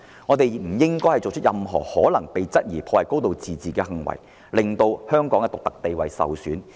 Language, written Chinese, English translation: Cantonese, 我們不應作出任何可能被質疑破壞"高度自治"的行為，令香港的獨特地位受損。, We should not act in a way that may arouse suspicion of undermining the high degree of autonomy and jeopardize the unique status of Hong Kong